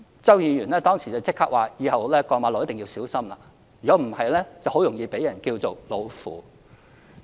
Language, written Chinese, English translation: Cantonese, 周梁淑怡議員當時立即說，以後過馬路一定要小心，否則容易被稱為"老婦"。, At that time Mrs Selina CHOW said immediately that she must be careful when she crossed the road in future lest she would be described as an old woman